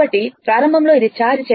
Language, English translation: Telugu, So, initial it was uncharged